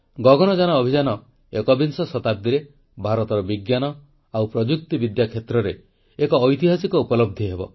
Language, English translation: Odia, Gaganyaan mission will be a historic achievement in the field of science and technology for India in the 21st century